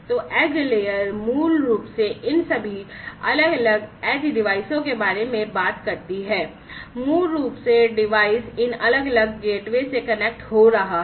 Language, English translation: Hindi, So, edge layer basically talks about all these different edge devices, basically the device is connecting to these different gateways at the edge and so on